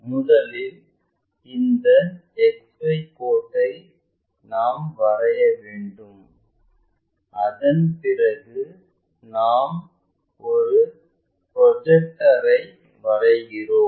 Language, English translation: Tamil, First we have to draw this XY line after that we draw a projector